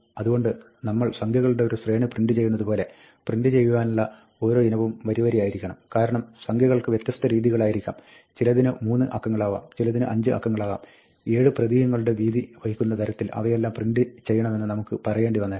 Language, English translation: Malayalam, So, we might want to say that, each item that we want to print, like we have printing a sequence of numbers, line by line, because, the numbers may have different widths; some may be 3 digits, some may be 5 digits; we might say print them all to occupy 7 characters width, right